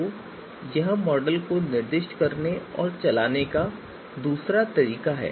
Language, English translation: Hindi, So this is this is the second way of specifying model and running it